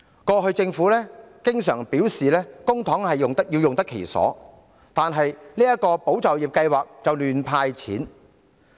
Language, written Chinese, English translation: Cantonese, 過去政府經常表示公帑要用得其所，但這項"保就業"計劃卻胡亂"派錢"。, In the past the Government often said that public funds must be used properly but this ESS just hands out money casually